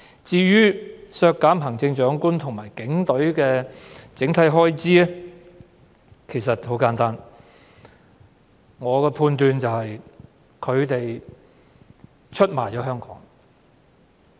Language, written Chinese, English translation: Cantonese, 至於削減行政長官和警隊的整體預算開支的原因很簡單：我認為他們出賣了香港。, The reason for reducing the overall estimated expenditure for the Chief Executive and the Police Force is simple enough I think they have betrayed Hong Kong